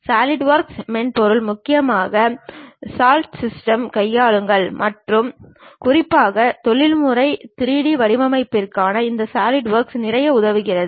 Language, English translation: Tamil, The Solidworks software mainly handled by Dassault Systemes and especially for professional 3D designing this Solidworks helps a lot